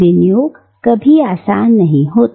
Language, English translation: Hindi, Appropriation is never easy